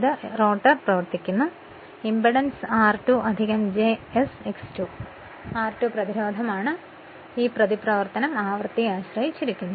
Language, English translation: Malayalam, So, this is your what you call your that is why the rotor frequency will be now rotor is running it's impedance will be r2 plus j s X 2, r 2 is resistance, but this reactance depends on the frequency